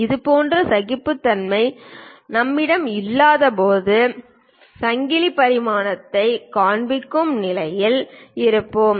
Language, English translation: Tamil, When we do not have such kind of tolerances then only, we will be in a position to show chain dimensioning